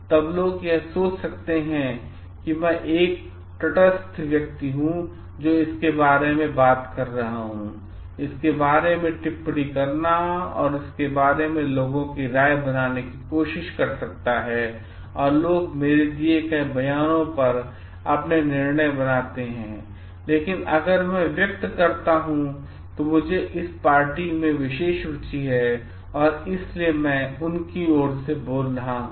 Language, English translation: Hindi, Then people may think it like I am a neutral person who are talking about it, making comments about it and trying to form public opinion about it and people may get swayed by their on the judgments by my statements that I have made, but if I express like I do have this special interest in this party that is why I am speaking on their behalf